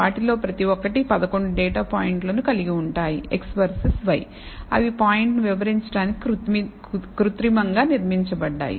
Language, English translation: Telugu, Each one of them having 11 data points, x versus y they are synthetically constructed to illustrate the point